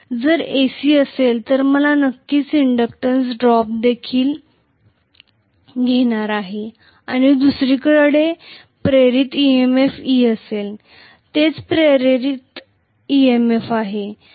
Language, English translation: Marathi, If it is AC I am going to have definitely an inductance drop also and there will be an induced EMF e on the other side, that is the induced EMF